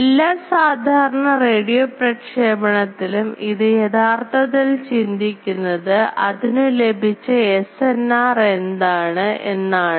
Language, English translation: Malayalam, Because all these normal radio communication they are mostly bothered with what is the SNR that is received